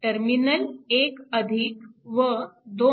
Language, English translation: Marathi, So, this is terminal 1 and 2